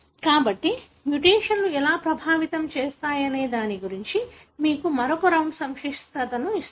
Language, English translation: Telugu, So, that gives you another round of complexity as to how the mutations can affect